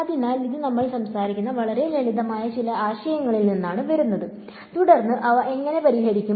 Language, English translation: Malayalam, So, that comes from some very simple concepts which we will talk about and also then how do we solve them